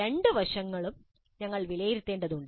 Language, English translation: Malayalam, We need to assess both aspects